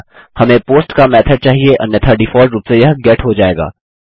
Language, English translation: Hindi, We need a method of POST otherwise its default as GET